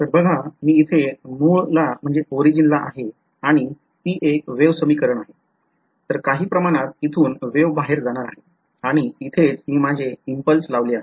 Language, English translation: Marathi, So, remember I am at the origin over here and it is a wave equation, so some wave it is going to go out from here that is where I have put my impulse